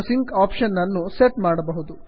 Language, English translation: Kannada, You can set your sync option here